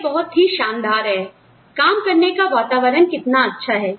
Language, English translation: Hindi, How great, the work environment here is